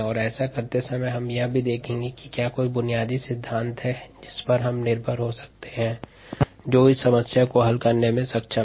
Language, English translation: Hindi, and while doing that, we will also ask: are there any basic principles that we can rely on to be able to solve this problem